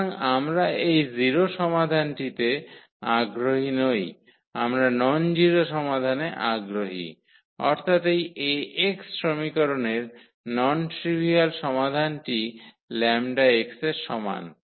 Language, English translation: Bengali, So, we are not interested in the 0 solution, our interested in nonzero solution; meaning the non trivial solution of this equation Ax is equal to lambda x